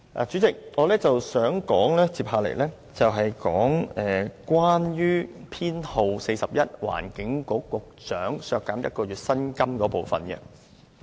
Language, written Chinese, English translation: Cantonese, 主席，我接下來想說修正案編號 41， 削減環境局局長1個月薪金的部分。, Chairman next I wish to discuss Amendment No . 41 on deducting one months salary for the Secretary for the Environment